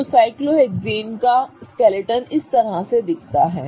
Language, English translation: Hindi, So, that is how the skeleton of cyclohexane is going to look